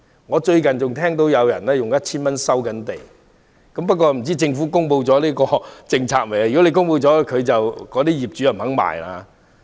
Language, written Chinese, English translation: Cantonese, 我最近還聽到有人出價每呎 1,000 元收地，不知政府是否已公布最新政策，如果已公布，業主當然不肯賣。, Recently I heard that someone would pay 1,000 per square foot to buy land . I do not know whether the Government has already announced the latest policy . If it has owners will certainly refuse to sell